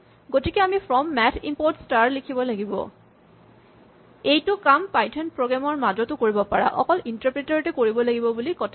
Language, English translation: Assamese, So, we must add from math import star; this can be done even within the python program it does not have to be done only at the interpreter